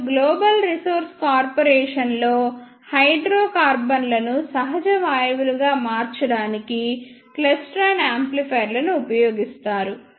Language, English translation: Telugu, And in Global Resource Corporation, klystron amplifiers are used to convert hydrocarbons into natural gases